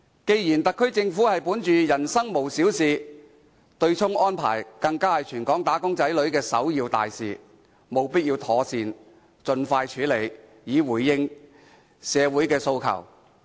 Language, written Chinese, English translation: Cantonese, 既然特區政府本着"民生無小事"的原則，而對沖安排又是全港"打工仔女"的首要大事，所以政府務必盡快妥善處理，以回應社會的訴求。, Given the SAR Governments belief that no livelihood issue is too trivial and the offsetting arrangement is of prime concern to all local wage earners the Government should therefore expeditiously handle the matter effectively and respond to peoples aspirations